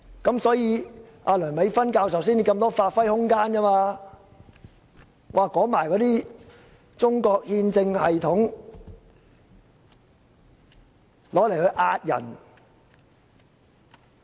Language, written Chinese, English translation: Cantonese, 因此，梁美芬教授才有如此多發揮空間，可利用中國憲政系統嚇唬市民。, This is why Prof Priscilla LEUNG has been given much room for elaboration and has managed to intimidate the public with her analysis of the Chinese constitutional system